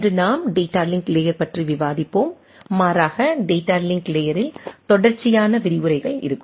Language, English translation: Tamil, Today we will be discussing on Data Link Layer rather will be having a series of lectures discussed on data link layer